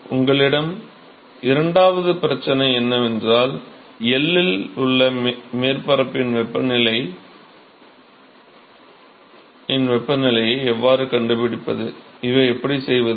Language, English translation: Tamil, So, your second problem is how to find the temperature of the, temperature of the surface at L, how do we do this